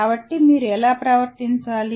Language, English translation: Telugu, So that is what how you should behave